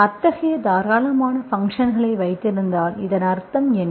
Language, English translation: Tamil, So if you have such, generous functions, so what is the meaning of this